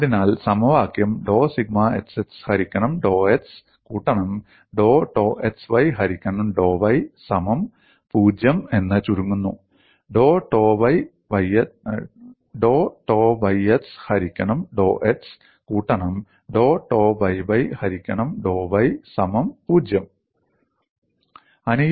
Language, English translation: Malayalam, So, the equation reduces to dou sigma xx divided by dou x plus dou tau x y divided by dou y equal to 0; dou tau y x divided by dou x plus dou sigma y by divided by dou y equal to 0